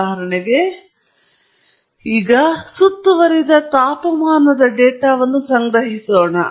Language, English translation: Kannada, As an example, suppose I collect ambient temperature data